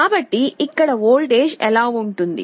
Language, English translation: Telugu, So, what will be the voltage here